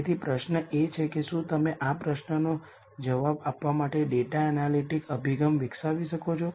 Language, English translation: Gujarati, So, the question is can you develop a data analytic approach to answer this question